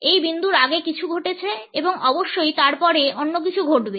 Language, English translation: Bengali, There has been something happening before that point and there would of course, something else would take place after that